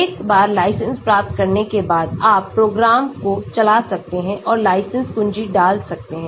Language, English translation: Hindi, once you get the license you can run the program and insert the license key